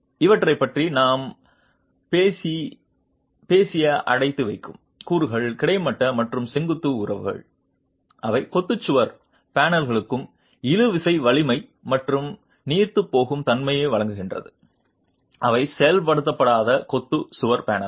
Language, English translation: Tamil, The confining elements that we talked about, these are horizontal and vertical ties, they provide tensile strength and ductility to the masonry wall panels which are unreinforced masonry wall panels